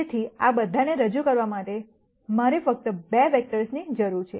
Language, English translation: Gujarati, So, I just need 2 vectors to represent all of this